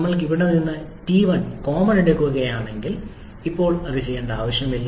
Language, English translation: Malayalam, If we take T1 common from here okay, there is no need of doing this for the moment now